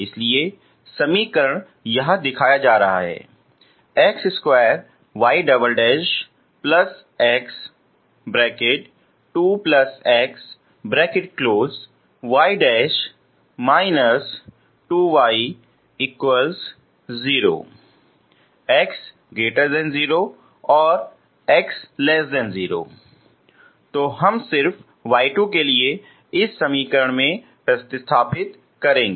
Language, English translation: Hindi, So we will just substitute into this equation for y 2